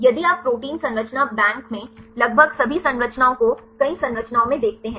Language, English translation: Hindi, If you look into several structures right almost all this structure in the Protein Data Bank